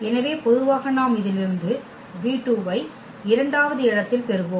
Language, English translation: Tamil, So, naturally we will get just v 2 from this one at the second position and so on